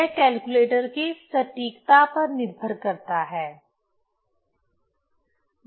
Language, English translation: Hindi, So, it depends on the accuracy of the of the calculator